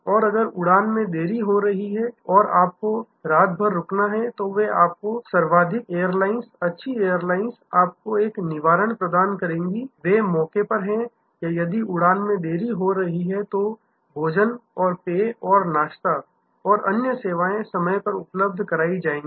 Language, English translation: Hindi, And if the flight is in add it delayed and you have to stay overnight, they will provide you the most airlines good airlines will provide you provide you a Redressal, they are on the spot or if the flight in order to delayed, food and beverage and snacks and other services will be provided on time right there